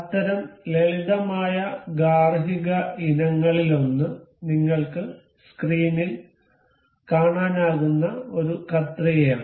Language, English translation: Malayalam, One of such simple household item we can see is a scissor that I have that you can see on the screen is